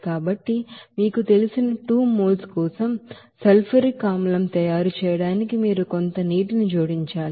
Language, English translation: Telugu, So for that 2 moles of you know, sulfuric acid to make it you have to add some water